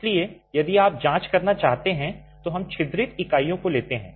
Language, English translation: Hindi, So, if you were to examine, let's take the perforated units